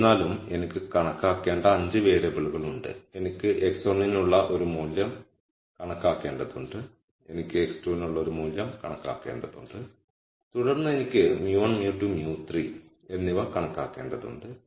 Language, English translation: Malayalam, However, I have 5 variables that I need to compute, I need to compute a value for x 1, I need to compute a value for x 2 and then I need to compute mu 1, mu 2 and mu 3